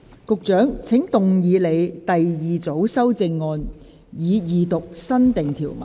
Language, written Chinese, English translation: Cantonese, 局長，請動議你的第二組修正案，以二讀新訂條文。, Secretary you may move your second group of amendment to read the new clause the Second time